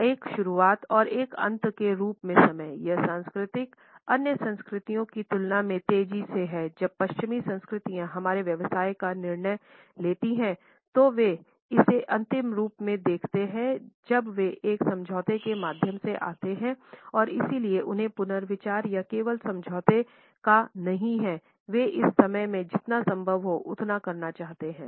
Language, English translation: Hindi, Time as a beginning and an end, this culture is fast paced compared to other cultures when western cultures make a decision of our business they will see it as final when they come through an agreement and so, they do not have to rethink or just of the agreement; they wants to do as much as possible in the time they have